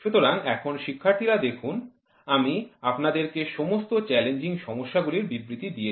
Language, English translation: Bengali, So, now look at it students I have given you all challenging problems statements